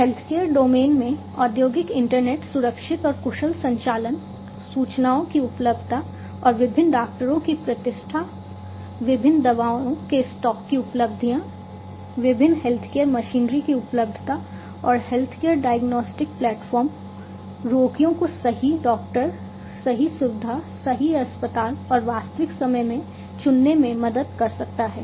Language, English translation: Hindi, In the healthcare domain industrial internet enables safe and efficient operations, availability of the information, and reputation of different doctors, availabilities of stock of different medicines, availability of different healthcare machinery, and healthcare diagnostic platforms can help the patients to choose the right doctor, the right facility, the right hospital and so, on in real time